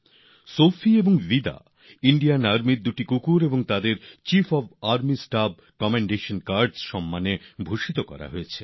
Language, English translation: Bengali, Sophie and Vida are the dogs of the Indian Army who have been awarded the Chief of Army Staff 'Commendation Cards'